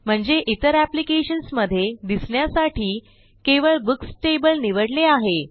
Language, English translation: Marathi, Meaning, we are marking only the Books table to be visible to other applications